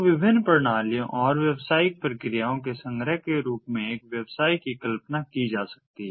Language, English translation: Hindi, so a business can be conceived of as a collection of different systems and business processes